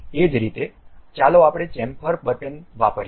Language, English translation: Gujarati, Similarly, let us use Chamfer button